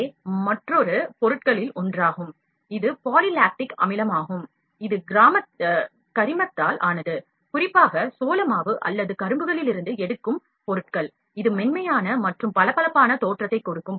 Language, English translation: Tamil, And the PLA, PLA is one of another materials, it is poly lactic acid it is made of organic materials specifically from the cornstarch or sugarcane, it makes the material both easier and safer to use while giving it a smoother and shinier appearance